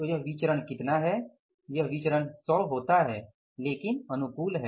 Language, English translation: Hindi, This way is variance works out as 100 but favorable